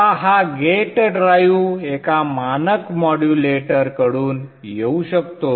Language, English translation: Marathi, Now this gate drive can come from a standard modulator